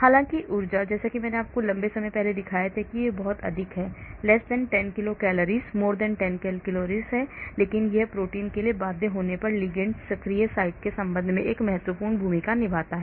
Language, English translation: Hindi, Although the energy , as I showed you long time back is much much < 10 kilo calories, but it plays a very important role in the conformation the ligand takes with respect to the active site when it gets bound to the protein